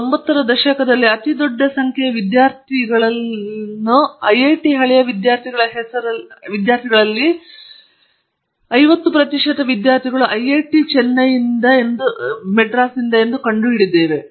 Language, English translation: Kannada, In the 90s, and we have found a very large number of them have the names of alumni, IIT alumni almost 50 percent